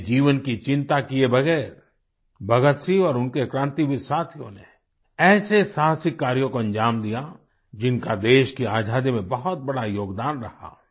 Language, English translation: Hindi, Bhagat Singh along with his revolutionary friends, without caring for their own selves, carried out such daring acts, which had a huge bearing in the country attaining Freedom